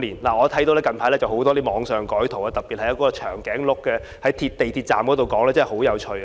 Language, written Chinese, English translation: Cantonese, 我看到最近網上有很多改圖，特別是一隻長頸鹿在地鐵站的那一幅，實在十分有趣。, I have recently seen a lot of modified images on the Internet particularly the one with a giraffe in the MTR stations . It is funny indeed